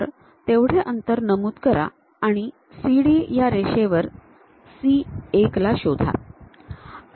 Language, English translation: Marathi, Pick that distance, similarly on CD line locate C 1